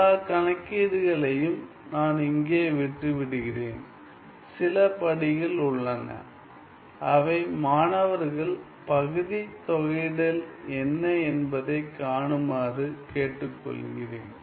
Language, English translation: Tamil, So, after doing all those calculations, so I am leaving all the calculations here, there is, there are some steps which I request the students to see what they are integration by parts